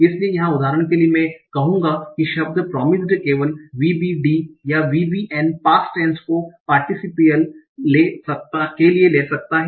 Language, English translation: Hindi, So here for example, I will say the word promised can take only VBD or VBN, past tense or participle